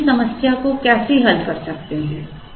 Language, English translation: Hindi, Now, how do we solve this problem